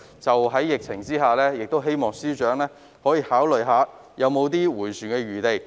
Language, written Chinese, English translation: Cantonese, 在疫情下，我亦希望司長考慮是否仍有轉圜的餘地。, Amid the epidemic I also hope that FS may consider whether there is still room for manoeuvre